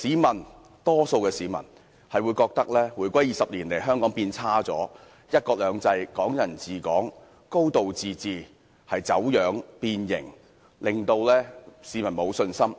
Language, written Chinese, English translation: Cantonese, 大多數市民均覺得回歸20年來，香港變差了，"一國兩制"、"港人治港"、"高度自治"已走樣變形，令市民沒有信心。, The majority of the public are of the opinion that over the past 20 years since the reunification Hong Kong has changed for the worse and one country two systems Hong Kong people administering Hong Kong and a high degree of autonomy have been distorted and deformed leading to a loss of public confidence